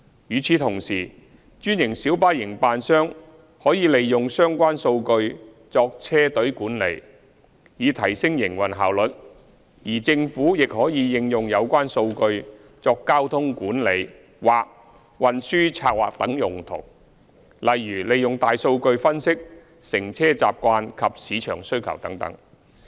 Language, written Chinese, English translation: Cantonese, 與此同時，專線小巴營辦商可利用相關數據作車隊管理，以提升營運效率；而政府亦可應用有關數據作交通管理或運輸策劃等用途，例如利用大數據分析乘車習慣及市場需求等。, At the same time green minibus operators can make use of the data for fleet management with a view to enhancing the operational efficiency while the Government can apply the data for the purpose of traffic management or transport planning such as making use of big data for analysing patronage behaviour and market demand etc